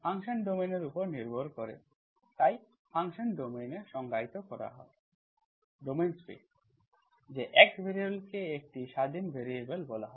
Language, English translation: Bengali, Function is depending on the domains, so function is defined on the domain, the domain space, that the variable x, that is called independence variable, independent variables